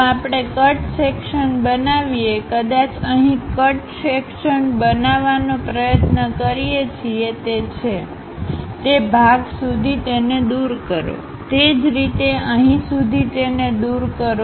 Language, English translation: Gujarati, If we make a cut section; perhaps here cut section what we are trying to do is, up to that part remove it, similarly up to that part remove it